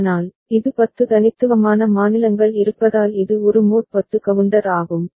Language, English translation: Tamil, But, this is a mod 10 counter because of 10 unique states that are there right